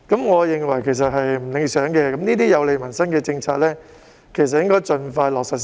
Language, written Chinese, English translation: Cantonese, 我認為這情況並不理想，這些有利民生的政策其實應該盡快落實。, I consider this less than satisfactory . Such policies which will be beneficial to peoples livelihood should be implemented as soon as possible